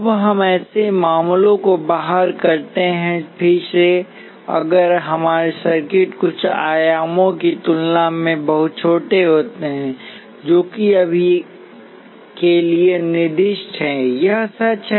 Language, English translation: Hindi, Now we exclude such cases, again if our circuits are very small compared to some dimensions, which early one specified for now, this is true